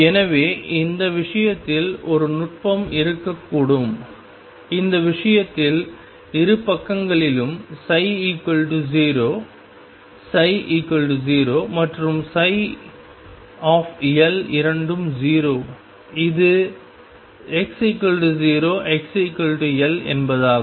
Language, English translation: Tamil, So, one technique could be in this case in which case the psi 0 on 2 sides psi 0 and psi L both are 0 this is x equals 0 x equals L